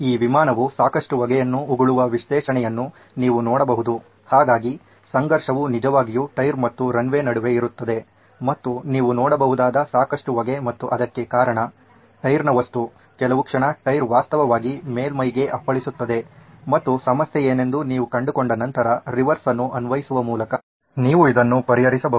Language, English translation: Kannada, The same way you can do the analysis of this aircraft landing a lot of smoke so the conflict really is between the tyre and the runway and there is lot of puff of smoke that you can see and that is because there is a tyre ware at the moment the tyre actually hits the surface and you can actually solve this by applying a reverse once you have figured out what the problem is